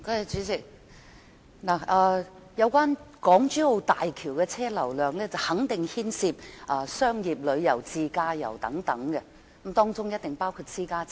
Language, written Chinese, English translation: Cantonese, 主席，港珠澳大橋的車輛流量肯定牽涉商業旅遊、自駕遊等，當中一定包括私家車。, President the vehicular flow of the Hong Kong - Zhuhai - Macao Bridge HZMB definitely involves commercial tours and self - drive tours and there are bound to be private cars